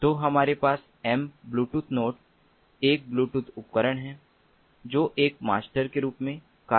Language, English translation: Hindi, so we have m bluetooth node, a bluetooth device which will act as a master, and there can be different slave devices